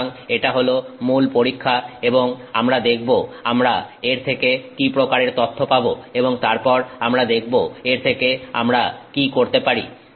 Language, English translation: Bengali, So this is the basic test and we will see you know what kind of data we will get from it and then see what we can make of it